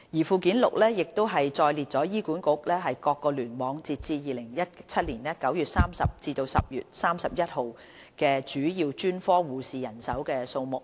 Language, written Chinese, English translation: Cantonese, 附件六載列醫管局各聯網截至2017年9月30日及10月31日主要專科護士的人手數目。, The numbers of full - time equivalent nurses in major specialties under each cluster as at 30 September and 31 October 2017 are set out at Annex 6